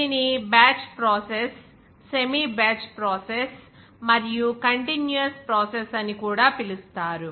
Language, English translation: Telugu, It can be called a batch process, semi batch process even continuous process